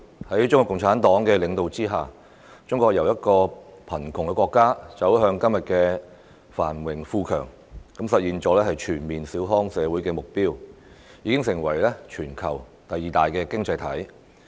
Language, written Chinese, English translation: Cantonese, 在中國共產黨領導之下，中國由貧窮的國家走向今天的繁榮富強，實現了全面小康社會的目標，並已成為全球第二大經濟體。, Under CPCs leadership China has transformed from a poor country into a prosperous and powerful nation today . It has already realized its goal of building a moderately prosperous society and become the worlds second largest economy